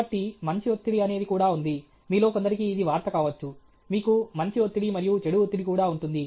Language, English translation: Telugu, So, there is also something called good stress; for some of you this may be news; you also have, you have good stress and bad stress